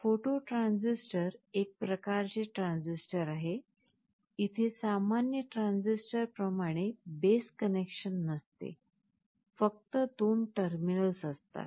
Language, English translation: Marathi, A photo transistor is a kind of a transistor, where there is no base connection like in a normal transistor, there are two terminals only